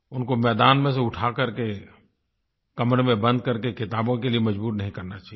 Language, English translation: Hindi, They should not be forced off the playing fields to be locked in rooms with books